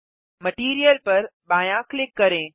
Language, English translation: Hindi, Left click Material